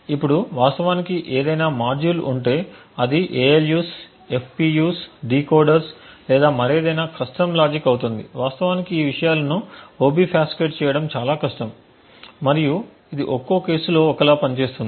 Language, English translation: Telugu, Now, if we have a module which actually computes something for example it would be ALUs, FPUs, decoders or any other custom logic it is actually very difficult to obfuscate these things, and this has to be done on a case to case basis